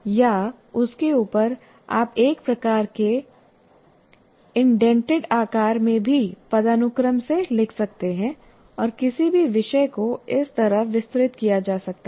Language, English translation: Hindi, Or on top of that, you can also write in a kind of indented fashion hierarchically any topic can be elaborated like this